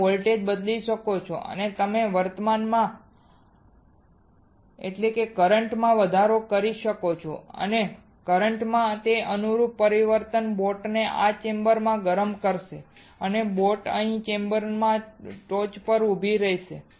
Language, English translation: Gujarati, You can change the voltage and you will see increase in current and that corresponding change in current will cause the boat to heat within this chamber and the boat will stand here in the top within the chamber